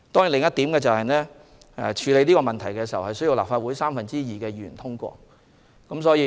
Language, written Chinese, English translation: Cantonese, 另一方面，處理此問題需要立法會三分之二議員支持。, On the other hand the issue can only be worked out with the support of two thirds of the Members of the Legislative Council